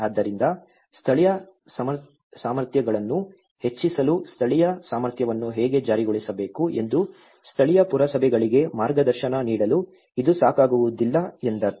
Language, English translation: Kannada, So, which means it is not adequate enough to guide the local municipalities how to enforce the local capacity to enhance the local capacities